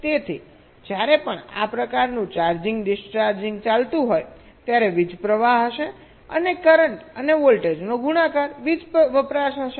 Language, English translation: Gujarati, so whenever there is a this kind of charging, discharging going on, there will be a current flowing and the product of currents and voltage will be the power consumption